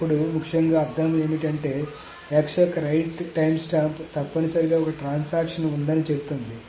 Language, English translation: Telugu, Then what is essentially the meaning is that the right timestamp of x essentially says that there is a transaction